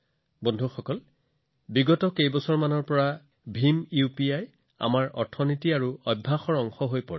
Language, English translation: Assamese, Friends, in the last few years, BHIM UPI has rapidly become a part of our economy and habits